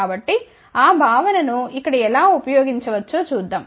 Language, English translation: Telugu, So, let us see how we can use that concept over here